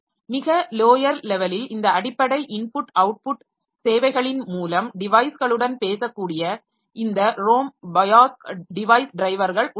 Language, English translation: Tamil, So we have got this at the lowest level we have got this ROM BIOS device drivers that can talk to the devices through this basic input output services